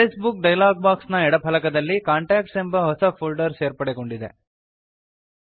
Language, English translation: Kannada, In the left panel of the Address Book dialog box, a new folder contacts has been added